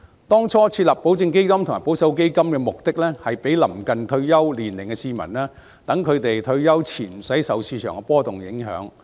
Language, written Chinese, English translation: Cantonese, 當初設立保證基金和保守基金是供臨近退休年齡的市民選擇，好讓他們退休前無需受市場的波動所影響。, Initially the establishment of the guaranteed funds and conservative funds was to offer a choice to those members of the public who are close to their retirement age so that they would not be affected by market fluctuations before retirement